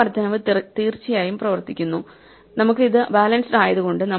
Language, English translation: Malayalam, This incrementation definitely works, although we have a balanced it